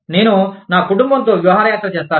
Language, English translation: Telugu, I will take a vacation with my family